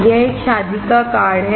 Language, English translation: Hindi, This is a wedding card